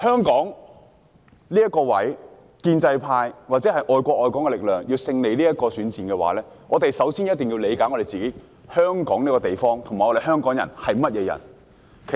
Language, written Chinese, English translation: Cantonese, 建制派或愛國愛港力量如果想在香港這個地方的選戰中獲得勝利，首先便要理解香港這個地方，以及香港人是怎麼樣的。, If the pro - establishment camp or the patriotic forces want to have victory in the elections in Hong Kong they will need to first understand this place and what Hong Kong people are like